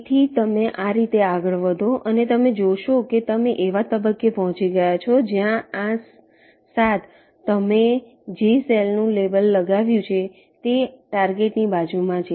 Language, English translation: Gujarati, so in this way you go on and you see that you have reached a stage where this seven, the cell you have labeled, is adjacent to the target